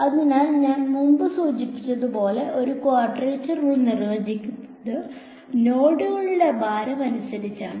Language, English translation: Malayalam, So, as I have mentioned before a quadrature rule is defined by the nodes and the weights